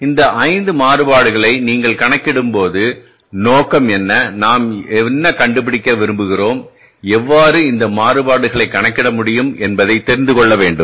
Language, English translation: Tamil, So, when you calculate these five variances, what is the objective, what we intend to find out and how we can calculate these variances